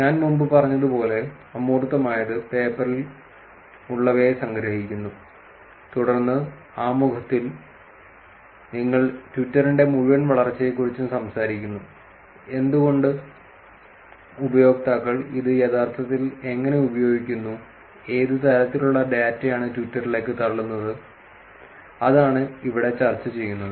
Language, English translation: Malayalam, As I have said before, abstract only summarizes what is in the paper then in the introduction you talk about the whole growth of Twitter, in terms of why it is, how users are actually using it and what kind of data is being pushed onto twitter, so that is what is being discussed here